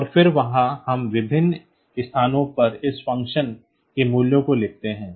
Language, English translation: Hindi, And then there we write down the values of this function f at various locations